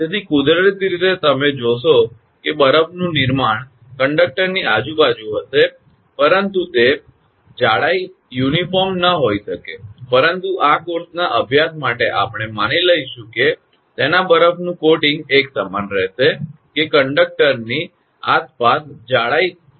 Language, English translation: Gujarati, So, naturally the you will find that ice formation will be there around the conductor, but those thickness may not be uniform, but for our study in this course, we will assume that its ice coating will be uniform that thickness will remain same around the conductor